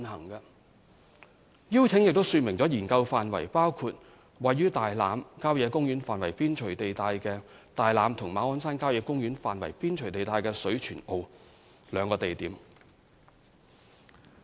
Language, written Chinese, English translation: Cantonese, 是項邀請亦說明，研究範圍包括分別位於大欖郊野公園範圍邊陲地帶的大欖，以及馬鞍山郊野公園範圍邊陲地帶的水泉澳這兩個地點。, The invitation also stated that the studies will be undertaken by HKHS at its own costs and that the studies would cover two areas in Tai Lam and Shui Chuen O which fall within or lie close to Tai Lam Country Park and Ma On Shan Country Park respectively